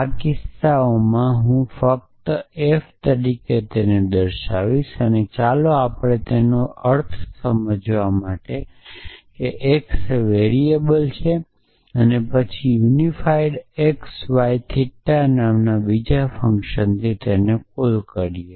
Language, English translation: Gujarati, So, these are cases so I just write it as f So, let us understand this to mean that x is a variable then call another function called unify x y theta